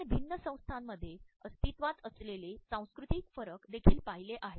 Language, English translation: Marathi, We have also looked at the cultural differences the differences which exist in different organizations